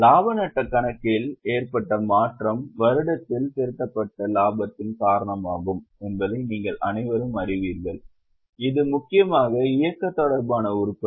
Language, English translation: Tamil, Now you all know that the change in the profit and loss account is due to the profit accumulated during the year and it is mainly the operating related item